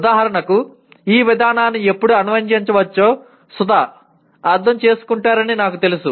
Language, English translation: Telugu, For example, I know that Sudha understands when the procedure can be applied